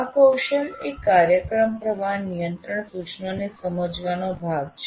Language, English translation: Gujarati, This competency is part of understand program flow control instructions